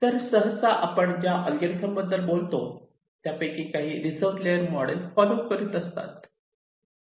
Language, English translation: Marathi, so usually most of the algorithm we talk about will be following some reserved layer model